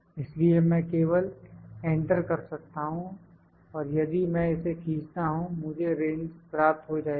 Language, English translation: Hindi, So, I can just put the enter and if I drag this I will get the range is